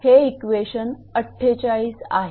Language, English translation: Marathi, So, this is equation 56